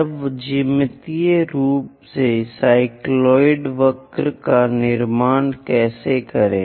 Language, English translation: Hindi, Now how to construct a cycloid curve geometrically